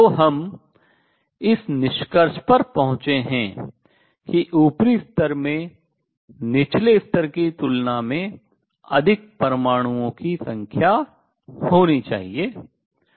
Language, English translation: Hindi, So, this is what we have come to the conclusion that the upper level should have number of atoms larger than those in lower level